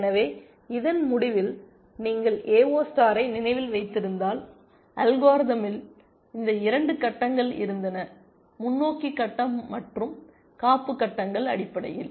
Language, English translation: Tamil, So, at the end of this so, if you remember the AO star algorithm had these 2 phases, the forward phase and the backup phases essentially